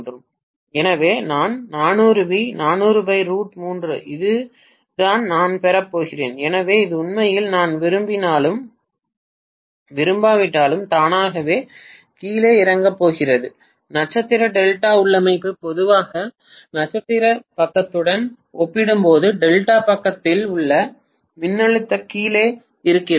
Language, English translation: Tamil, So I am going to have 400 volts is to 400 by root 3 this is what I am going to get, so this is actually going to make automatic step down whether I like it or not, star delta configuration generally steps down the voltage on the delta side as compared to the star side